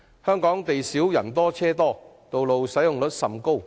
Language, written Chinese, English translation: Cantonese, 香港不但地少，而且人多車多，道路使用率也極高。, Not only does Hong Kong lack land it is also densely populated with many vehicles and heavily used roads